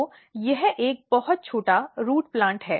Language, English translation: Hindi, So, it is a very short root plant